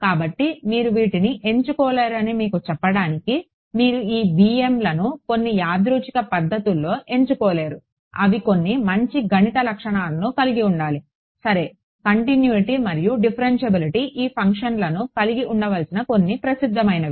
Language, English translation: Telugu, So, just to tell you that you cannot choose these; you cannot choose these b m’s in some random fashion, they should have some nice mathematical properties ok, continuity and differentiability are some of the popular ones that these functions should have